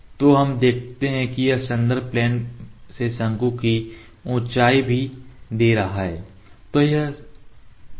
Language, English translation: Hindi, So, let us see it is also giving the height of the cone from the reference plane